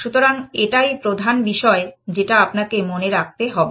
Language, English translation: Bengali, So, that is the key first thing that you must remember essentially